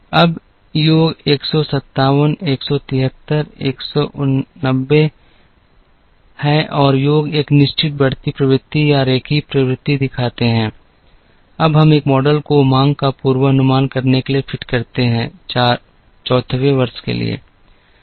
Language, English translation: Hindi, Now, the totals are 157 173 189 and the totals show a certain increasing trend or a linear trend, now we can fit a model to forecast the demand, for the 4th year